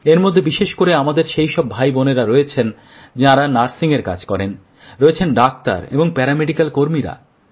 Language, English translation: Bengali, These are our front line soldiersespecially our brothers and sisters on duty as nurses, doctors and paramedical staff